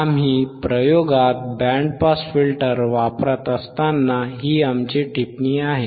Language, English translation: Marathi, This is our comment when we are using the band pass filter in the experiment in the experiment